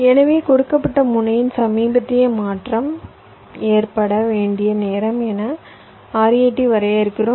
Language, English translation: Tamil, so r i t we define as the time by which the latest transition at a given node must occur